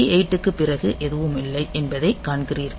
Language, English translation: Tamil, So, after B 8 you see that there is a nothing